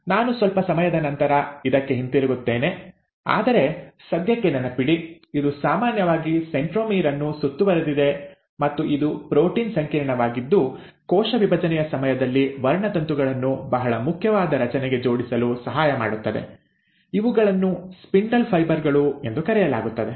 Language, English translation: Kannada, Now I will come back to this a little later but for the time being, just remember that it is usually surrounding the centromere and it is the protein complex which helps in attaching the chromosomes to a very important structure during cell division, which is called as the ‘spindle fibres’